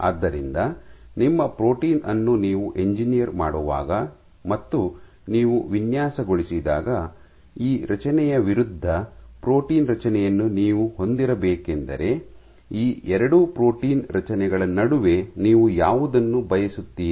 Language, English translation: Kannada, So, what we wish to know is when you design your when you engineer your protein, should you have a protein construct which has this structure versus, between these 2 protein constructs which one would you prefer